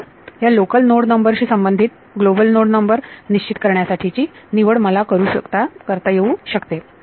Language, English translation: Marathi, Now corresponding to these local node numbers, I get to choose how to decide to fix the global node numbers ok